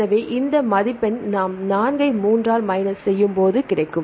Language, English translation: Tamil, So, this will get 3 minus 4